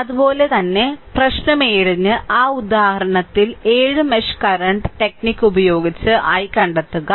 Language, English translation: Malayalam, Similarly, for problem 7, the that example 7 find by using mesh current technique find i